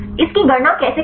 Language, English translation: Hindi, How to calculate this